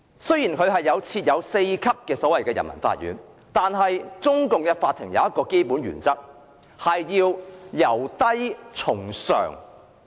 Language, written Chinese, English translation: Cantonese, 雖然內地設有4級人民法院，但中共的法院持一項基本原則，就是"由低從上"。, There are four levels of Peoples Courts on the Mainland . But courts under the Chinese Communist Party adhere to one fundamental principle the principle that lower courts are subordinate to higher courts